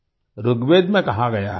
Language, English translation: Hindi, In Rigveda it is said